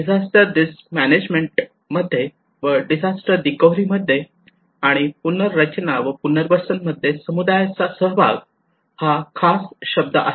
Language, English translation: Marathi, Community participation is a buzzword in disaster risk management in disaster recovery and reconstruction and rehabilitation